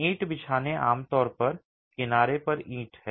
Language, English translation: Hindi, The brick laying is typically brick on edge